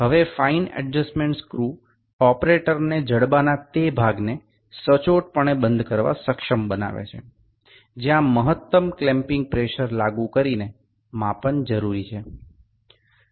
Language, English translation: Gujarati, Now, the finer adjustment screw enables the operator to accurately enclose the portion of the jaw where measurement is required by applying optimum clamping pressure